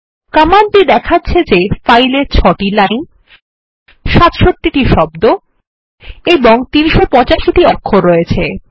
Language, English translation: Bengali, The command points out that the file has 6 lines, 67 words and 385 characters